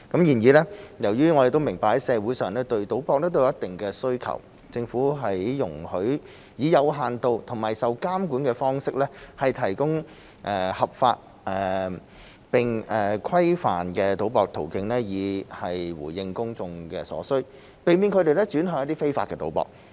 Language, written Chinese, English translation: Cantonese, 然而，由於社會對賭博有一定的需求，政府容許以有限度和受規管的方式，提供合法並規範的博彩途徑以回應公眾所需，避免他們轉向非法賭博。, However since there is a certain public demand for gambling the Government allows the provision of legal and authorized gambling in a limited and regulated manner as a means to address public demand so as to prevent the public from turning to illegal gambling